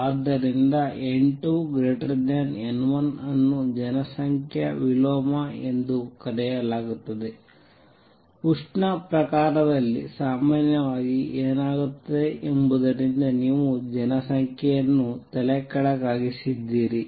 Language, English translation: Kannada, So, n 2 greater than n 1 is called population inversion, you have inverted the population from what normally happens in thermal case